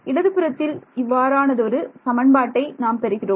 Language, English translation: Tamil, So, left hand side I have got one equation in how many variables